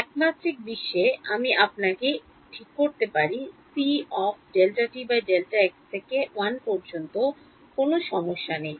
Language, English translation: Bengali, In the one dimensional world I can fix you know c delta t by delta is equal to 1 no problem